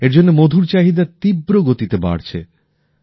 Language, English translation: Bengali, In such a situation, the demand for honey is increasing even more rapidly